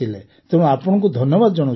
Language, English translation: Odia, So we are very thankful